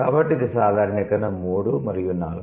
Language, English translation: Telugu, Now let's move to generalization 3